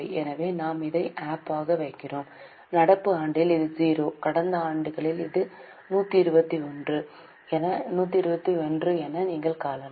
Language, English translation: Tamil, You can see in the current year it is zero, last two years it is 121 121